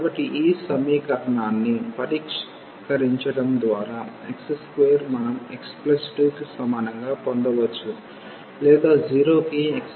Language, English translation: Telugu, So, we can get just by this solving this equation x square is equal to x plus 2 or x square minus x minus 2 is equal to 0